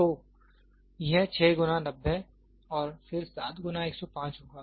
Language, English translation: Hindi, So, it will be 6 time 90 and then it will have 7 time 105